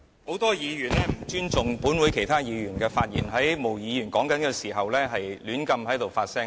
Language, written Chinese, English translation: Cantonese, 很多議員不尊重本會其他議員的發言，在毛議員發言時胡亂發聲。, Many Members did not show respect when other Members of this Council were speaking; they made noises while Ms Claudia MO was speaking